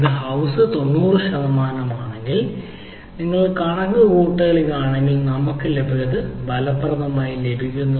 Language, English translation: Malayalam, if it is a ninety percent in house, then if you do the same calculation, we will effectively what we will get instead of this value